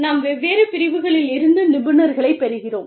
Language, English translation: Tamil, We get specialists, from different disciplines